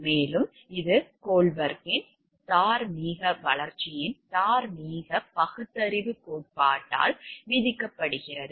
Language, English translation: Tamil, And that is discussed by the Kohlberg’s theory of moral reasoning of moral development